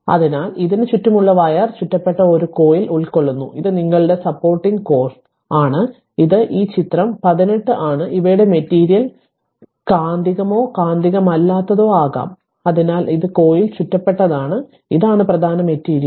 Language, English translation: Malayalam, So, it is composed of a coil of wire wound around it your supporting core that is this figure this is figure 18 right; whose material may be magnetic or non magnetic, so this is coil wound and this is the core material